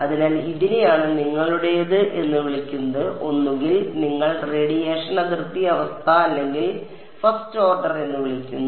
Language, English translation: Malayalam, So, this is what is called your either you call the radiation boundary condition or 1st order